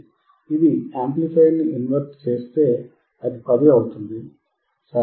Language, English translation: Telugu, If it is inverting amplifier, it will be 10, right